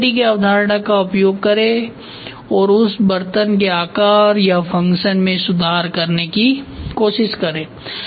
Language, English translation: Hindi, Use the concept of modularity and improve the same utensil shape slash function